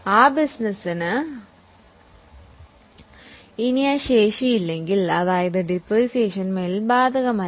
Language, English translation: Malayalam, If that business does not have that capacity any longer, that means the depreciation is no longer applicable